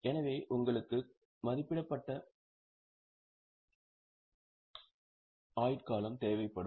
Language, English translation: Tamil, So, you will need an estimated life so that estimated life is given